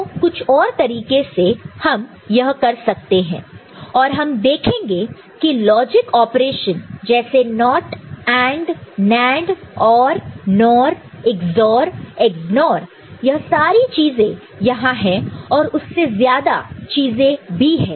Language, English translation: Hindi, So, by some other means we can do it and we shall see that logic operation like NOT, AND, NAND, OR, NOR, Ex OR, Ex NOR they all, these common things are there, but more than that also it is there, ok